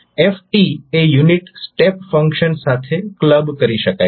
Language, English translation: Gujarati, Ft you can club with the unit step function